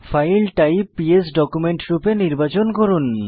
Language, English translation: Bengali, Select the File type as PS document